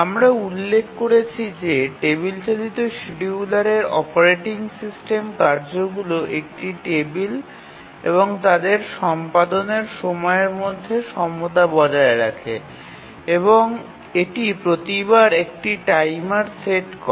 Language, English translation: Bengali, We had mentioned that in the table driven scheduler the operating system maintains a table of the tasks and their time of execution and it sets a timer each time